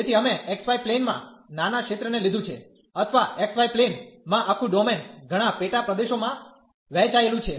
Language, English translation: Gujarati, So, we have taken the small region in the x, y plane or the whole domain in the x, y plane was divided into many sub regions